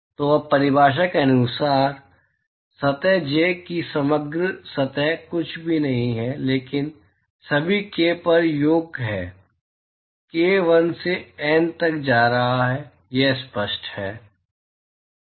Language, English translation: Hindi, So, now by definition the overall surface of surface j is nothing, but sum over all k; k going from 1 to n, that is obvious